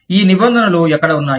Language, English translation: Telugu, Where are these regulations